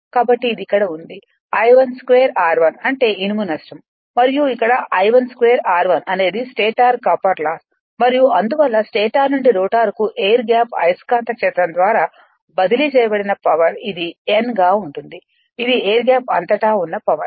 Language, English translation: Telugu, So, this is here it is I i square R i is that your iron loss and here I 1 square r 1 is the stator copper loss and hence is the power that is transferred from the stator to the rotor via the air gap magnetic field this is known as the power across the air gap